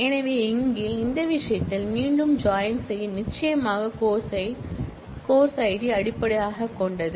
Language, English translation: Tamil, So, here in this case again the join will be based on course id